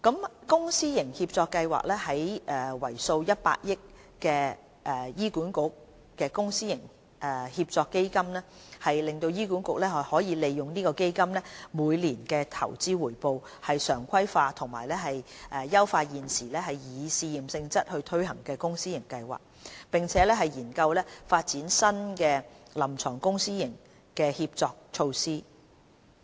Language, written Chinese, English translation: Cantonese, 在公私營協作計劃方面，為數100億元的醫管局公私營協作基金讓醫管局利用基金每年的投資回報，常規化及優化現時以試驗性質推行的公私營協作計劃，並研究發展新的臨床公私營協作措施。, On PPP programmes HA makes use of the annual investment return of the 10 billion HA PPP Fund to regularize and enhance clinical PPP programmes being undertaken on a pilot basis as well as developing new clinical PPP initiatives